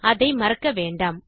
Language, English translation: Tamil, Dont forget that